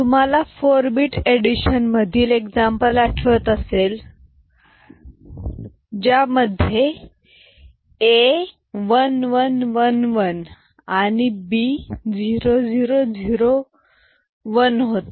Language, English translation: Marathi, So, if you remember the example where in 4 bit addition 1111 that is A was added with B 0001